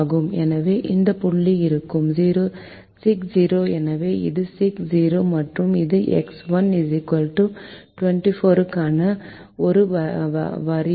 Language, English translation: Tamil, so this is six comma zero, and this is a line for x one equal to twenty four